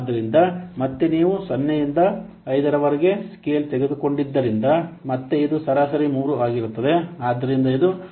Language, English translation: Kannada, So, again, for average, since you have taking a scale from 0 to 5, again, this is average will be coming 3